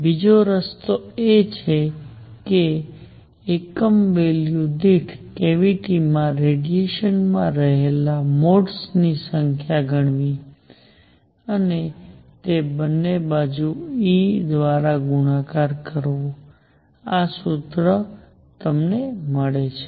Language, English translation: Gujarati, Second way is to count the number of modes that radiation has in the cavity per unit volume and multiply that by E bar both ways, this is the formula you get